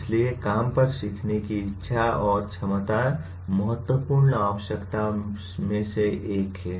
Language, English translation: Hindi, So willingness and ability to learn on the job is one of the important requirements